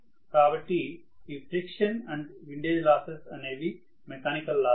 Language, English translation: Telugu, So, friction and windage losses are mechanical loss